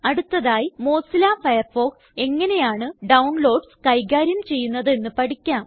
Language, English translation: Malayalam, Next, let us now learn how Mozilla Firefox handles downloads